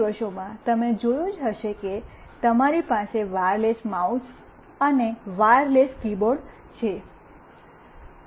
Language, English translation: Gujarati, These days you must have seen that you have wireless mouse and wireless keyboard